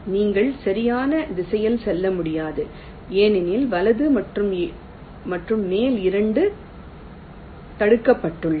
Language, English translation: Tamil, you cannot move in the right direction because right and top, both are blocked